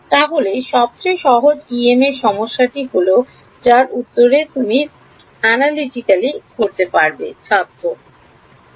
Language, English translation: Bengali, So, what is the simplest EM problem you can think of where you know the answer analytically